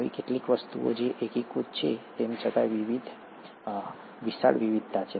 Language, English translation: Gujarati, There are certain things which are unifying, yet there’s a huge diversity